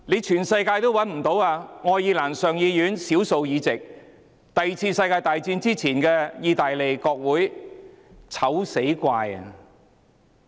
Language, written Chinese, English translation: Cantonese, 全世界也找不到的，除了愛爾蘭上議院少數議席和第二次世界大戰之前的意大利國會。, They cannot be found anywhere except a small number of seats in the Upper House of the Irish legislature and the Italian parliament before the Second World War